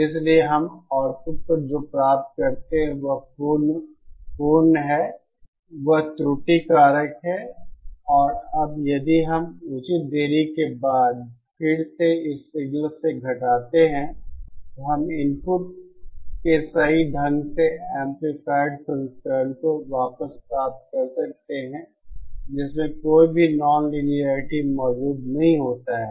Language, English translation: Hindi, So what we get at the output is the absolute, that is the error factor again and now if we again subtract it from this signal after proper delays, then we can get back the correctly amplified version of the input with no nonlinearities present